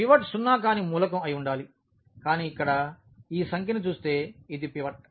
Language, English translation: Telugu, The pivot has to be a non zero element, but looking at this number here this is a pivot